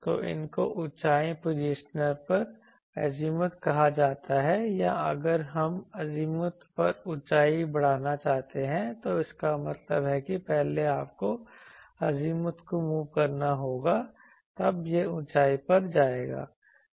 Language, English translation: Hindi, So these are called azimuth over elevation positioner or if we want to move elevation over azimuth that means, first you have move azimuth; then it will go to elevation